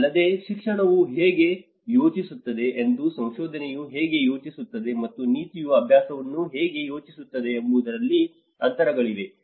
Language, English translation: Kannada, Also, there has been gaps in how education thinks and how research thinks and how the policy thinks how the practice